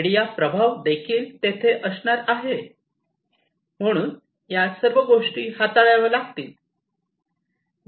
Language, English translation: Marathi, Media influence is also going to be there, so all these things will have to be handled